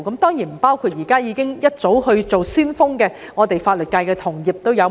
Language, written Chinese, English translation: Cantonese, 當然，他們不包括不少早已當上先鋒的法律界同業。, Of course they do not include many of their peers in the legal profession who became pioneers long ago